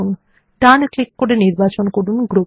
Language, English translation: Bengali, Right click and select Group